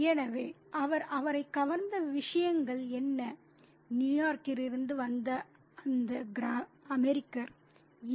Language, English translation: Tamil, So, what are the stuff that he is struck by this American from New York is these